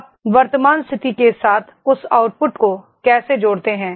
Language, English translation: Hindi, How you connect that output with the current situation